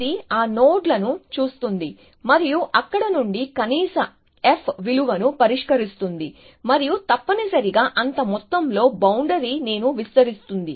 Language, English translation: Telugu, It looks at those nodes and fix the minimum f value from there, and extends a boundary by that much amount essentially